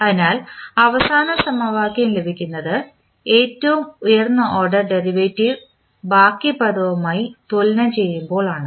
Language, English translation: Malayalam, So, the last equation which we obtain is received by equating the highest order derivatives terms to the rest of the term